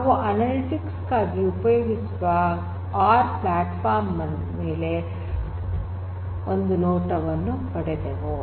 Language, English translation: Kannada, So, what we have got is a glimpse of the R platform which is widely used for analytics